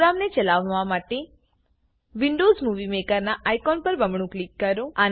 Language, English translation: Gujarati, Double click on the Windows Movie Maker icon to run the program